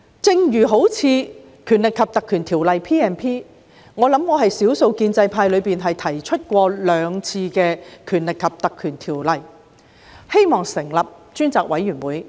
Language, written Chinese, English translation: Cantonese, 正如《立法會條例》，我是少數建制派議員曾兩次提出引用《條例》成立專責委員會。, As in the case of the Legislative Council Ordinance I am among the few pro - establishment Members who have proposed to invoke the Ordinance for forming a select committee on two occasions